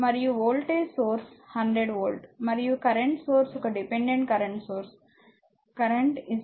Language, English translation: Telugu, And voltage is voltage source is 100 volt, and current source one dependent current source is there current is equal to there is a 0